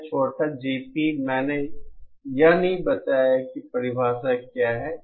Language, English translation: Hindi, This small GP, I did not mention what is the definition